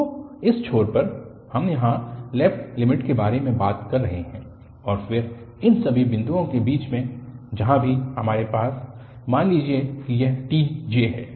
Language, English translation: Hindi, So, at this end, we are talking about the left limit here and then at all these points in between wherever we have, let say this is tj